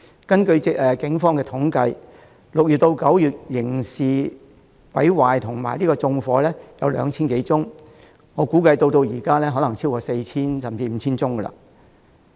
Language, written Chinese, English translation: Cantonese, 根據警方統計 ，6 月至9月有 2,000 多宗刑事毀壞和縱火個案，至今我估計個案已超過 4,000 宗甚至 5,000 宗。, According to Polices statistics more than 2 000 cases of criminal damage and arson have been recorded from June to September . And now I guess there should be more than 4 000 or even 5 000 cases in total